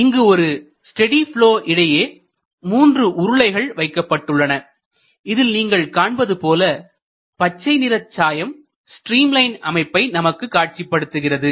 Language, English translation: Tamil, So, these are 3 cylinders in a steady flow and you can see that this green colored dye is giving an appearance of a stream line